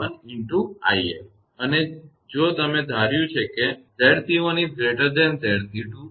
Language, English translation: Gujarati, And if you have assumed; Z c 1 greater than Z c 2; then v b will be negative